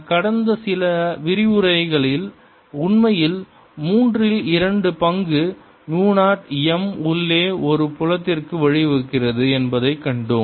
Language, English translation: Tamil, and we have seen in the past few lectures ago that this actually gives rise to a field inside which is two thirds mu zero m